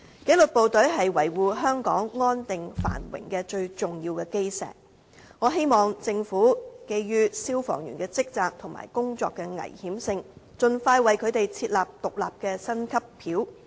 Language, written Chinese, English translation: Cantonese, 紀律部隊是維護香港安定繁榮的最重要基石，我希望政府基於消防員的職責和工作危險性，盡快為他們設立獨立的薪級表。, I hope the Government can compile a separate pay scale for firemen as soon as practicable taking into account their duties and the danger involved in the tasks they perform